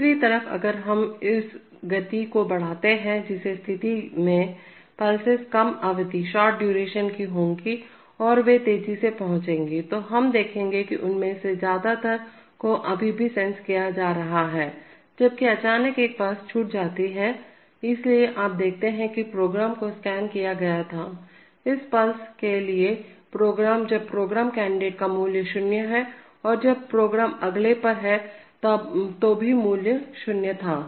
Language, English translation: Hindi, On the other hand if we increase the speed in which case the pulses will be of shorter duration and they will arrive faster, so we will see that most of them are being still being sensed, while suddenly one pulse is missed, so you see that the program was scanned, for this pulse the program when the program is candidate the value is zero and when the programs can did next the value was a gain zero